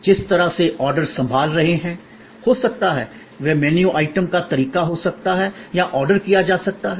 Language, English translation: Hindi, That could be the way orders are handle; that could be the way of menu item is can be ordered or so many different possibilities are there